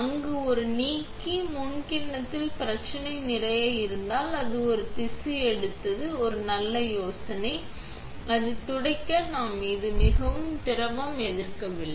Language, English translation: Tamil, If there is a lot of resists in the bowl set before removing that one, it is a good idea to take a tissue, wipe it off, just like this, just so we do not have as much liquid resist